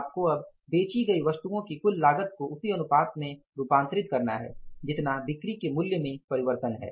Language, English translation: Hindi, You have to now convert the total cost of goods sold in the same proportion as the proportion there is a change in the value of the sales